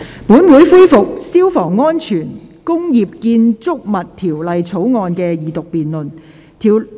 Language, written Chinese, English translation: Cantonese, 本會恢復《消防安全條例草案》的二讀辯論。, This Council resumes the Second Reading debate on the Fire Safety Bill